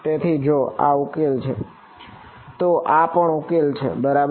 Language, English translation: Gujarati, So, if this is a solution, this is also a solution right